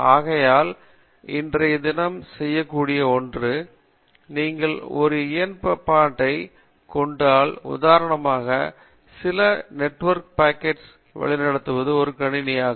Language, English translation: Tamil, So, one which can do, today if you take a network appliance which for example take some packets and route it, it is also a computer